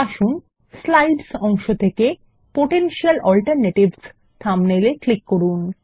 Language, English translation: Bengali, Lets click on the thumbnail Potential Alternatives from the Slides pane